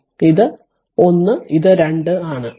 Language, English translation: Malayalam, So, this is 1 this is 2